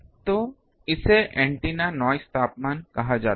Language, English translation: Hindi, So, that is called antenna noise temperature, ok